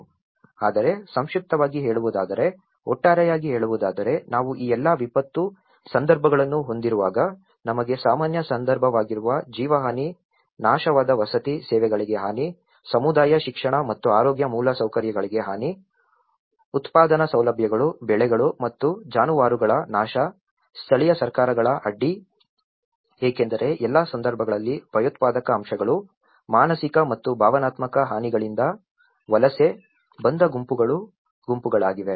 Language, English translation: Kannada, (Refer Slide : 29:49) But summarizing, putting altogether is when we have these all the disaster context, we have the loss of lives which is a common context, destroyed housing, damages to services, damages to community education and health infrastructure, destruction of productive facilities, crops and cattle, disruption of local governments because in all the cases there are groups which are migrant groups which have migrated because of terror aspects, psychological and emotional damages